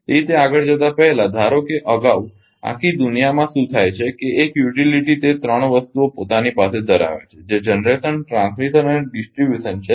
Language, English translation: Gujarati, So, before moving to that suppose earlier ah what happen actually all over the world that one utility use to own that 3 things that is generation, transmission and distribution